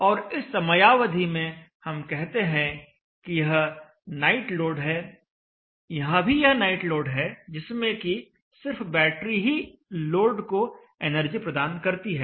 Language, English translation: Hindi, And during this period we say this is night load this is also night load where only the battery is participating